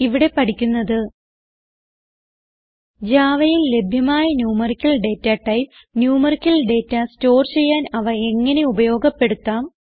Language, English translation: Malayalam, In this tutorial, we will learn about: The various Numerical Datatypes available in Java and How to use them to store numerical data